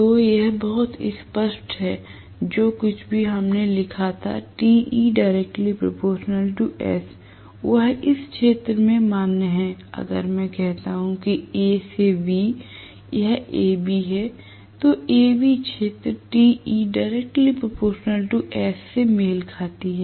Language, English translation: Hindi, So, this is very clearly whatever we wrote earlier that is Te is proportional to slip, so that is valid in this region, if I say from A to B this is A B, region A B corresponds to torque is proportional to slip